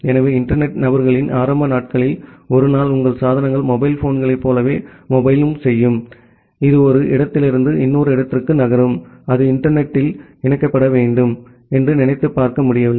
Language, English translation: Tamil, So, during the early days of internet people where was not able to imagine that one day your devices which will mobile like the mobile phones which will move from one place to another place and that will need to get connected over the internet